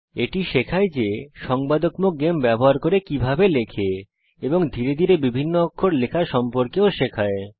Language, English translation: Bengali, It teaches you how to type using interactive games and gradually introduces you to typing different characters